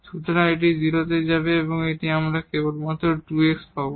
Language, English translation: Bengali, So, this will go to 0 and we will get only 2 x